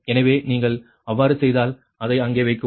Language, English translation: Tamil, so if you do so, so a put it there